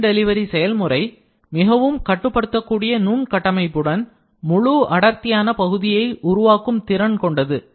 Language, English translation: Tamil, Beam delivery process are capable of producing fully dense part with highly controllable microstructure